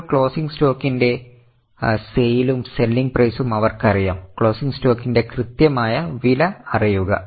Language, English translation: Malayalam, Now, they also know the sales and selling price of closing stock because they don't know exact cost of closing stock